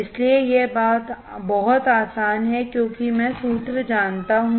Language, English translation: Hindi, So, it is very easy because I know the formula